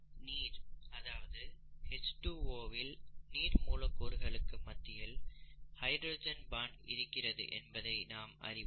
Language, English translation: Tamil, We have water here, you know H2O and there is hydrogen bonding between water molecules that we know now